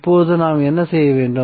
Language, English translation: Tamil, So now what we have to do